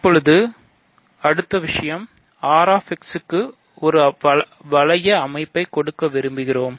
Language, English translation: Tamil, So now, the next thing is we want to give a ring structure to R[x]